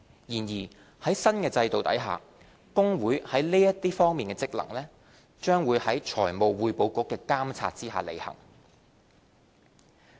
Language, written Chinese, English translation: Cantonese, 然而，在新制度下，公會在這些方面的職能，將在財務匯報局的監察下履行。, Under the new regime however its performance of such functions will be subject to oversight by the Financial Reporting Council